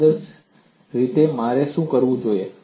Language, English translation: Gujarati, Ideally what I should do